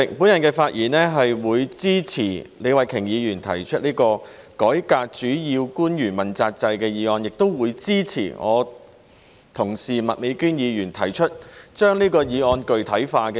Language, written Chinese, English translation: Cantonese, 主席，我發言支持李慧琼議員提出的這項關於改革主要官員問責制的議案，亦會支持我的同事麥美娟議員所提出的修正案，將這項議案具體化。, President I rise to speak in support of this motion on reforming the accountability system for principal officials which is proposed by Ms Starry LEE . Also I will support the amendment proposed by my colleague Ms Alice MAK which puts flesh on this motion